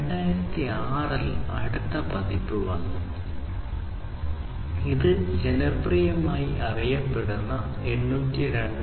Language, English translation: Malayalam, In 2006, the next variant came, which is basically popularly known as the 802